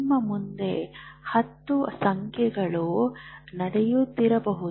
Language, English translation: Kannada, There may be 10 things happening in front of you